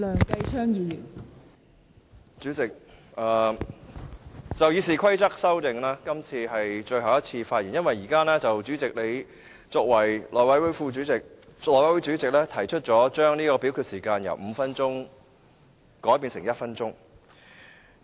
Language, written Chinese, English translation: Cantonese, 代理主席，就《議事規則》的修訂，今次是我最後一次發言，因為代理主席已以內務委員會主席身份，提出將點名表決鐘聲由5分鐘縮短至1分鐘。, Deputy President this will be the last time I speak on the amendments to the Rules of Procedure RoP because you have in your capacity as the Chairman of the House Committee proposed to shorten the duration of the division bell from five minutes to one minute